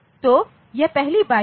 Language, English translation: Hindi, So, this is the first byte